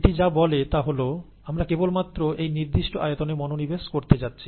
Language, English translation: Bengali, All it says is that we are going to concentrate on that particular volume